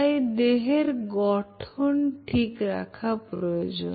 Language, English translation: Bengali, So, you have to keep the body in shape